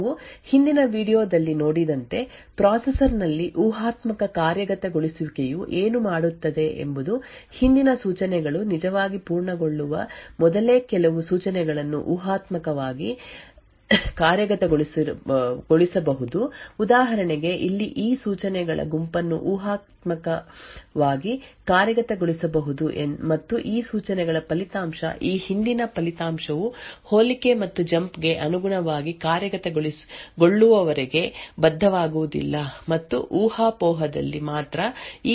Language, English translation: Kannada, As we have seen in the previous video what speculative execution in a processor does is that certain Instructions can be speculatively executed even before prior instructions have actually being completed so for example over here this set of instructions can be speculatively executed and the result for these instructions will not be committed unless and until this previous result corresponding to the compare and the jump have completed execution only at the speculation is correct would these instructions be committed